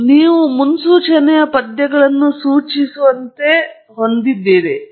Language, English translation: Kannada, Then, you have predictive verses prescriptive